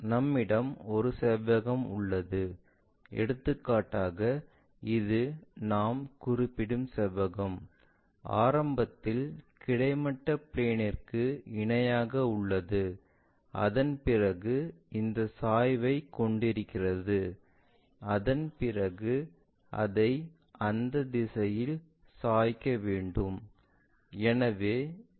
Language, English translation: Tamil, We already have a rectangle, for example, this is the rectangle what we are referring to, initially we have parallel tohorizontal plane, after that we have this tilt, after that we want to tilt it in that direction